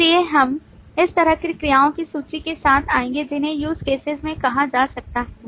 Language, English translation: Hindi, So we will come up with this kind of a list of verbs which could be termed into use cases